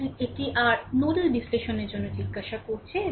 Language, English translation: Bengali, So, this is your asking for your nodal analysis